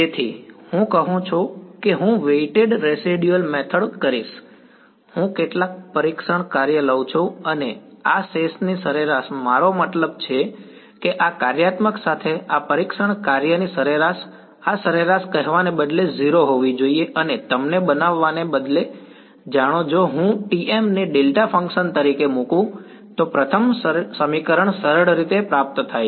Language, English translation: Gujarati, So, I say I will do a weighted residual method, I take some testing function and the this the average of this residual I mean the average of this testing function with this functional, this average should be 0 instead of saying and instead of making you know the first equation is simply obtained if I put T m to be a delta function